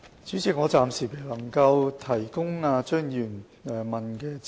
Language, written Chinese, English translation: Cantonese, 主席，我暫時未能提供張議員問及的資料。, President at the moment I cannot provide the information sought by Dr CHEUNG